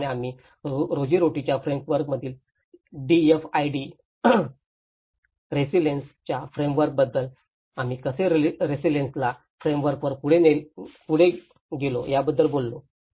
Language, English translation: Marathi, The similarly, we talked about the DFIDs resilience framework from the livelihood framework, how we moved on to the resilience frameworks